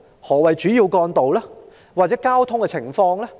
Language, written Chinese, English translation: Cantonese, 抑或是指票站外的交通情況？, Or is it referred to the traffic outside the polling station?